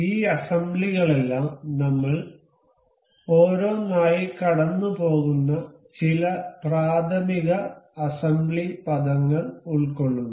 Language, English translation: Malayalam, All these assembly includes some very elementary assembly terminologies that we will go through one by one